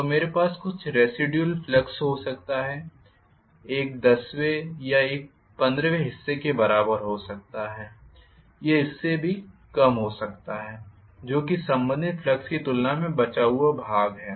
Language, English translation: Hindi, So, I may have some residual flux, may be to the tune of you know one 10th or one 15th or even less than that as the quantity that is leftover as compared to the related flux